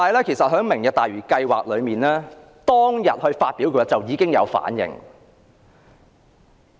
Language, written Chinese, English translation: Cantonese, 其實，市民在"明日大嶼"計劃公布當天已作出反應。, In fact members of the public have reacted on the day the Lantau Tomorrow project was announced